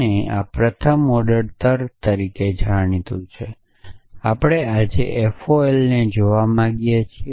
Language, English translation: Gujarati, And this is known as first order logic and we want to look at that today FOL essentially